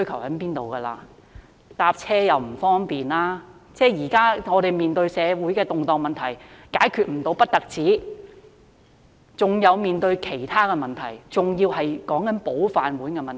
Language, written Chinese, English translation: Cantonese, 市民現時乘車出行不方便，我們面對的社會動盪問題不但無法解決，還要面對其他問題，甚至是"保飯碗"的問題。, Now members of the public find it inconvenient in commute . Not only have we run into insoluble social unrest . We also have to face other issues and even problems in safeguarding our rice bowls